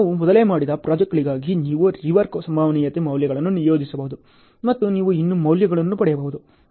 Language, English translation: Kannada, For projects which we have done earlier easily you can assign the rework probability values and you can still get the values ok